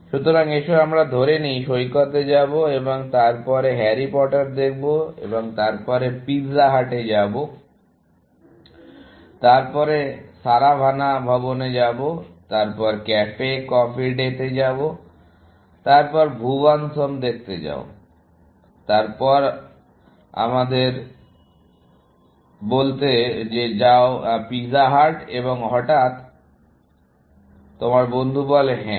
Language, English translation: Bengali, So, let us say, go to the beach and then, go and see harry porter; and then, go to pizza hut; then, go to Saravana Bhavan; then, go to Cafe Coffee Day; then, go to Bhuvan’s Home; then go to let us say, pizza hut; and suddenly, your friend says, yes